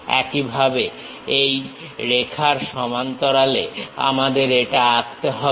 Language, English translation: Bengali, Similarly, parallel to this line we have to draw this one